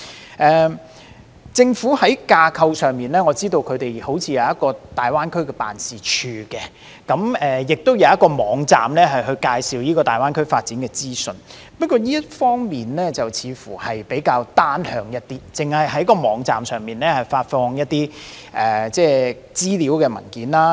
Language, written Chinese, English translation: Cantonese, 我知道政府在架構上好像設有大灣區辦事處，亦設有網站介紹大灣區發展的資訊，但這些工作似乎比較單向，因為只是在網站上發放資料文件。, Noting that the Government seems to have established a GBA office and a website to provide information on the GBA development I consider these efforts rather one - sided involving only the posting of information documents on the website